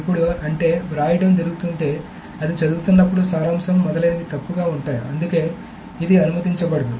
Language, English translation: Telugu, Now that means that if that writing is being done while it is reading then the summary is etc may be wrong